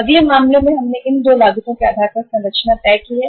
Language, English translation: Hindi, In the next case we have decided the structure on the basis of these 2 costs